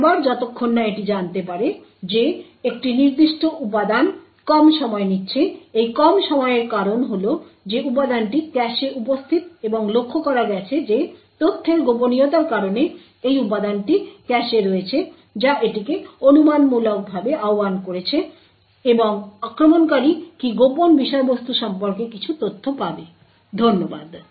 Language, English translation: Bengali, Over and over again until he finds out that one particular element is taking a shorter time so the shorter time is due to the fact that this element is present in the cache and noticed that this element is in the cache due to the secret of information which has invoked it speculatively and does the attacker would get some information about the contents of the secret, thank you